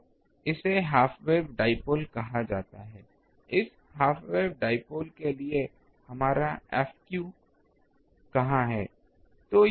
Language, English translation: Hindi, So, it is called half way dipole, for this half wave dipole where is our F theta